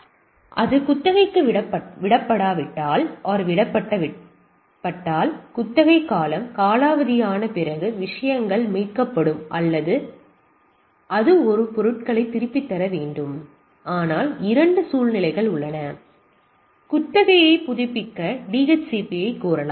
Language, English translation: Tamil, Now once that is lease to the things so after the expiry of the lease period things will be recovered or it need to return the things, but there are two situation the DHCP may request for a renewal of the lease right